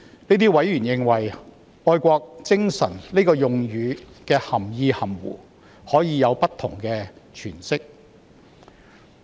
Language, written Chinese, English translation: Cantonese, 這些委員認為，"愛國精神"的用語涵義含糊，可以有不同的詮釋。, These members have also pointed out that the meaning of the term patriotism is vague and would be open to different interpretations